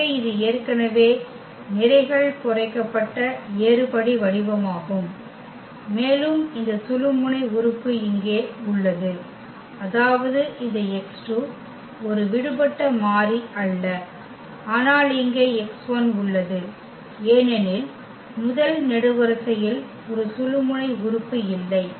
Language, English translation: Tamil, So, this is the row reduced echelon form already and we have here this pivot element; that means, this x 2 is not a free variable, but here this x 1 because the first column does not have a pivot element